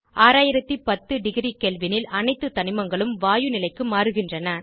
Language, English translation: Tamil, At 6010 degree Kelvin all the elements change to gaseous state